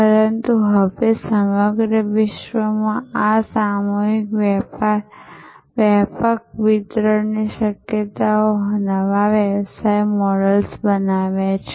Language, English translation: Gujarati, But, now this mass extensive delivery possibility across the globe has created new service business models